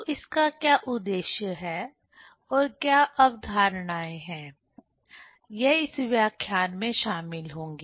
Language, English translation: Hindi, So, what is the aim and what are the concepts will be covered in this lecture